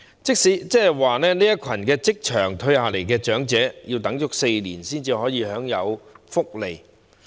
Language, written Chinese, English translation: Cantonese, 即是說，這群從職場退下來的長者，要等待4年才可以享受福利。, In other words such a group of elderly persons who have just retired from the workplace have to wait for four years before they can enjoy the benefits